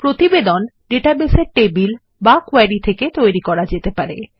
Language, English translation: Bengali, Reports can be generated from the databases tables or queries